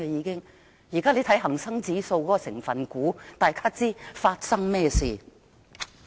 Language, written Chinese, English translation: Cantonese, 請看看現時恒生指數的成分股，大家便心中有數。, Just look at the constituent shares of the Hang Sang Index . It is self - explanatory